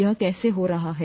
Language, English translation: Hindi, How is that happening